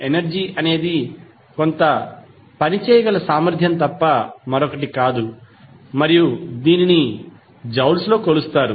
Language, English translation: Telugu, Energy is nothing but the capacity to do some work and is measured in joules